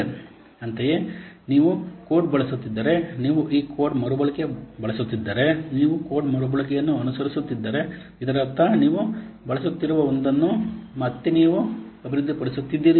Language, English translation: Kannada, Similarly, if you are using code, if you are what are using this code reusing, if you are following code reusing, that means you have developed one and again and again you are using